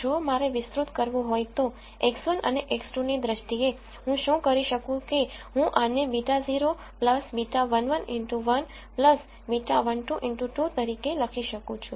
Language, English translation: Gujarati, If I want to expand it in terms of X 1 and X 2, what I could do is I could write this as beta naught plus beta 1 1 X 1 plus beta 1 2 X 2